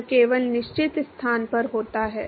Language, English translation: Hindi, This happens only at certain location